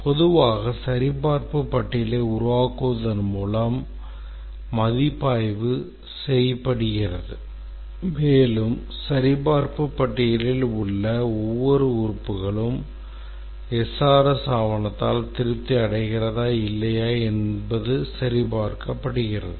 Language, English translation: Tamil, Typically the review is done by developing a checklist and it's checked that every element in the checklist is satisfied by the SRS document